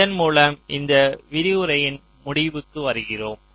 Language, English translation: Tamil, ok, so with this we come to the end of this lecture, thank you